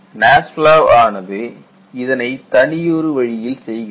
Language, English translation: Tamil, And NASFLA encompasses all of these variables